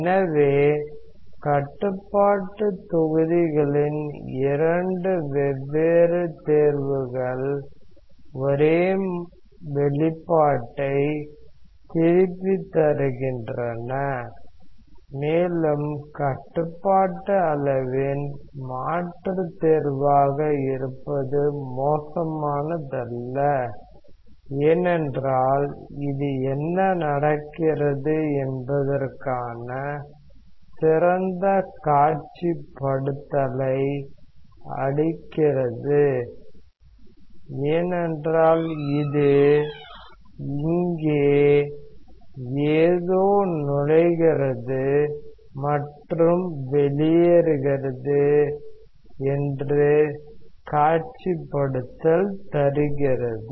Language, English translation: Tamil, So, two different choices of the control volumes are giving back the same expression and to be the alternative choice of control volume is not bad, because it gives a better visualization of what is happening, because this gives a direct visualization that something is entering here and something is leaving, and these two are not participating